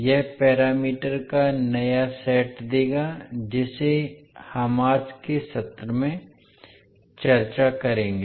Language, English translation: Hindi, That will give the new set of parameters which we will discuss in today’s session